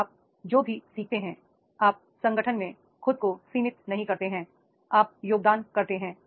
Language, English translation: Hindi, Then whatever you learn, you do not restrict to yourself in the organization